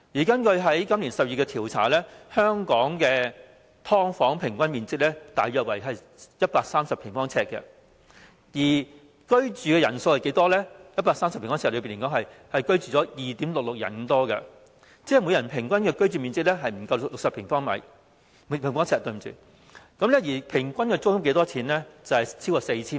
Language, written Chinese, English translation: Cantonese, 根據本年10月的調查顯示，香港的"劏房"平均面積約為130平方呎，而在這130平方呎內的居住人數竟然是 2.66 人，即每人的平均居住面積不足10平方呎，而平均租金卻超過 4,000 元。, According to a survey conducted in October this year the average area of a subdivided unit in Hong Kong is 130 sq ft which is inhabited by 2.66 persons on average meaning that each person occupies less than 10 sq ft but the average rent is over 4,000